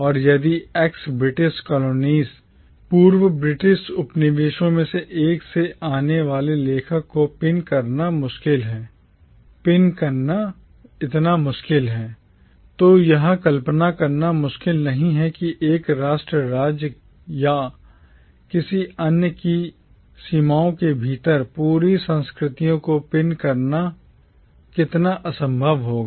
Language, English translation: Hindi, And if it is so difficult to pin down an author coming from one of the ex British colonies, then it is not difficult to imagine how impossible it would be to pin down entire cultures within the confines of one nation state or another